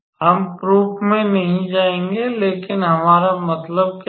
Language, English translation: Hindi, We will not go into the proof, but what we mean is